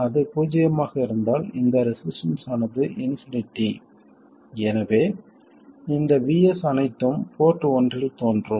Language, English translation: Tamil, So, if it is zero, this resistance is infinite, so all of this VS appears across port 1